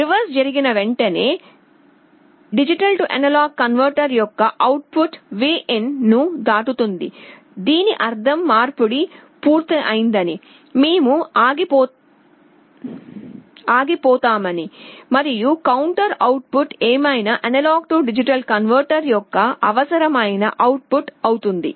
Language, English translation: Telugu, But as soon as the reverse happens, the output of the DA converter crosses Vin, this will mean that the conversion is complete, we stop, and whatever is the counter output will be the required output of the A/D converter